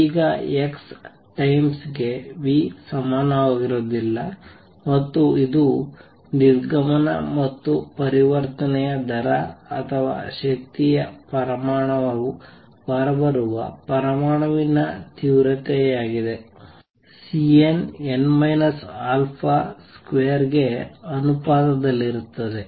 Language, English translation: Kannada, Now x times v is not going to the same as v times x, and this was a departure and the rate of transition or rate of energy coming out which is the intensity for an atom is going to be proportional to C n, n minus alpha mode square